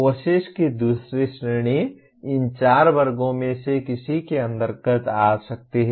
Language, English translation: Hindi, The second category of courses can come under any of these four classes